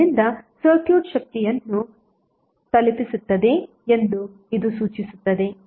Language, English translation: Kannada, So it implies that the circuit is delivering power